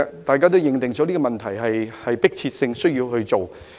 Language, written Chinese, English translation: Cantonese, 大家都認定這個問題有迫切性，需要處理。, Everyone agrees that this issue is urgent and needs to be addressed